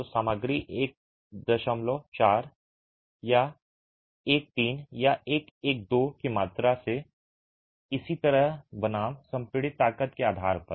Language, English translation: Hindi, So, by the volume of materials 1 is to 4 or 1 is to 3 or 1 is to 1 and so on versus the compressor strength itself